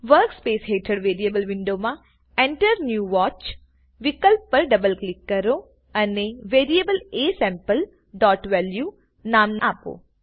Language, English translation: Gujarati, In the Variables window below the workspace, I will double click on the Enter new Watch option and enter the name of the variable aSample.value